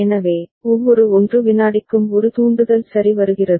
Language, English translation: Tamil, So, every 1 second there is a trigger coming ok